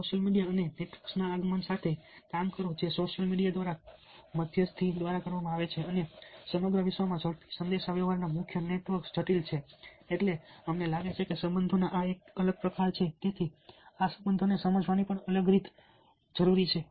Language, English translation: Gujarati, with the advent of social media and networks which are mediated by social media ok, very complex networks, rapid communications throughout the world, fast communication we find that a different kind of set of relationships, different way of understanding these relationships, is probably required